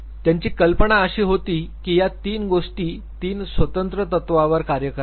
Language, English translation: Marathi, His idea was that these 3 things work on 3 separate principles